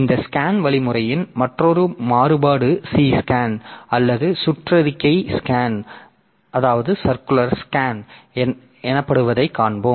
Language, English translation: Tamil, So, this we'll see that there is another variant of this scan algorithm called C scan or circular scan